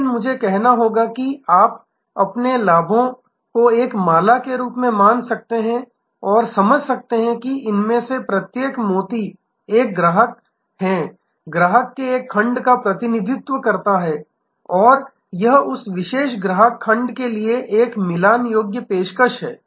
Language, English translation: Hindi, But I must say that you can consider your benefits as a garland and understand, that each of these pearls represent one type of customer, one segment of customer and this is a matched offering to that particular customer segment